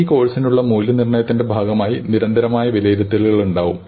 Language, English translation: Malayalam, Now as part of the evaluation for the course, there will be continuous evaluations